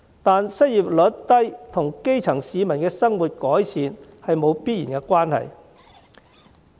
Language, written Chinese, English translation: Cantonese, 但是，失業率低與基層市民的生活改善沒有必然關係。, However low unemployment rate does not necessarily mean the improvement of grass - roots peoples livelihood